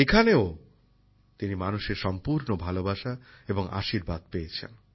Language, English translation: Bengali, There too, he got lots of love and blessings from the people